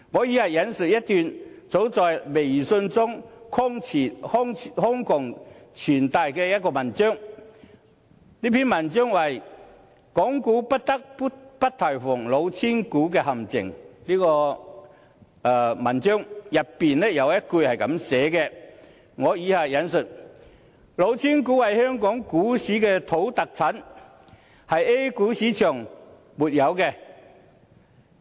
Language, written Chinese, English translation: Cantonese, 以下我引述一段早在微信中瘋傳的文章，這篇文章是"港股不得不提防的'老千股'陷阱"，文章中有一句是這樣寫的："老千股是香港股市的土特產，是 A 股市場所沒有的。, Let me now quote a few words from an article shared widely on WeChat earlier . The article is entitled Always mind the traps of cheating shares in Hong Kong stocks . Some words in this article read and I quote Cheating shares are a local produce of the Hong Kong stock market and they are not found in the A - shares market